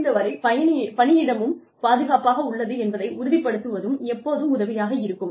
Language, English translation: Tamil, It is always helpful to ensure that, the workplace is also, as safe as, possible